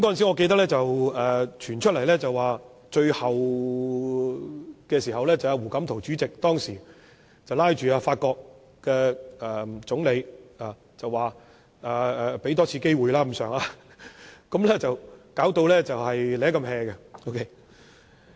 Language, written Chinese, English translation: Cantonese, 我記得，當時傳出的消息是，最後胡錦濤主席拉着法國總理要求多給香港一次機會，香港才得以解圍，當時情況也頗為狼狽。, As far as I can remember rumour has it that eventually it was President HU Jintao who got Hong Kong out of the predicament as he asked the Prime Minister of France to give Hong Kong one more chance . The situation was rather awkward at that time